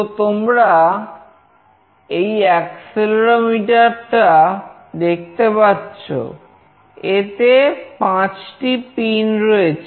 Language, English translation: Bengali, So, you see this is the accelerometer, it has got 5 pins